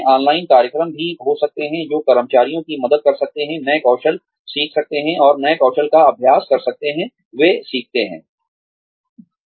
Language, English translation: Hindi, There could also be online programs, that could help employees, learn new skills, and practice the new skills, they learn